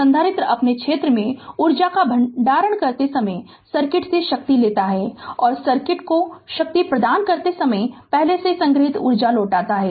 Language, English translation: Hindi, Capacitor takes power from the circuit when storing energy in its field right and returns previously stored energy when delivering power to the circuit right